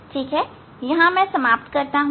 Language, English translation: Hindi, I will stop here